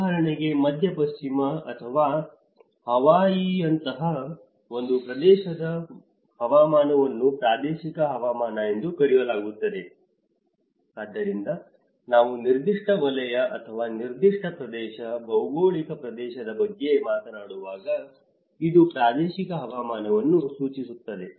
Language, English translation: Kannada, For instance, the climate in the one area like the Midwest or Hawaii is called a regional climate so, when we talk about a particular zone or a particular area, geographical region, it is refers to the regional climate